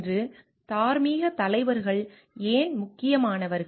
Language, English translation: Tamil, Why the moral leaders important today